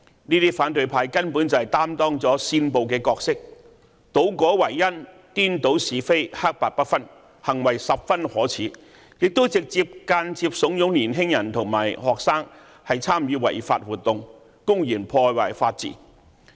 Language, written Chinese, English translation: Cantonese, 這些反對派根本就擔當了煽暴的角色，倒果為因、顛倒是非、黑白不分，行為十分可耻，亦直接、間接慫恿年輕人和學生參與違法活動，公然破壞法治。, It reverses the cause and effect as it cannot tell black from white . This is very shameful . Young people and students are directly and indirectly encouraged to participate in unlawful activities in open disregard of the rule of law